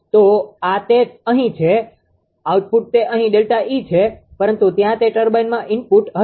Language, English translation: Gujarati, So, this is here it is output here it is delta E, but there it will be input to the turbine